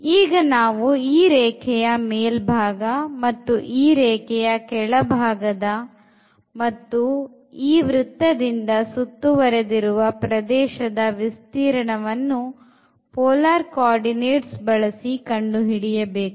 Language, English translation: Kannada, Now, enclosed by the circle above by this line and below by this line; so, this is the region which we want to now find the area using the polar coordinate